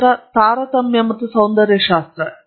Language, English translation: Kannada, Then Discrimination and aesthetics